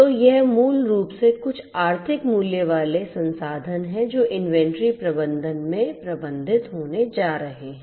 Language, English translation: Hindi, So, it is basically some kind of resource having some economic value that is going to be managed in inventory management